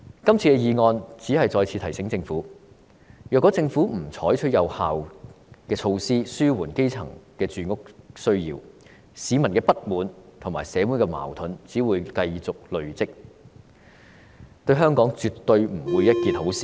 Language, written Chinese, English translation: Cantonese, 今次議案只是再次提醒政府，如果政府不採取有效措施紓緩基層的住屋需要，市民的不滿和社會矛盾只會繼續累積，對香港絕對不是一件好事。, This motion simply reminds the Government that if it does not adopt any effective measures to relieve the housing needs of the grass roots public discontents and social conflicts will only continue to accumulate . It is absolutely not a good thing for Hong Kong